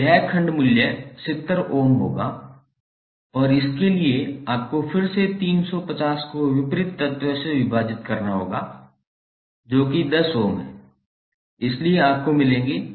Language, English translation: Hindi, So this segment value would be 70 and for this again you have to simply divide 350 by opposite element that is 10 ohm, so you will get 35